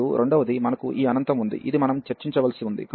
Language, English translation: Telugu, And the second one, we have this infinity this we have to to discuss